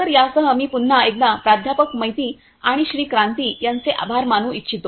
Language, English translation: Marathi, So, with this I would like to thank once again Professor Maiti and Mr